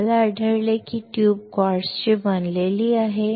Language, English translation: Marathi, We found that the tube is made up of quartz